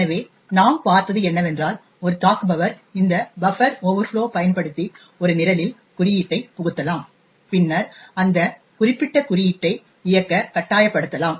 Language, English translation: Tamil, So, what we seen was that an attacker could use this buffer overflows to inject code into a program and then force that particular code to execute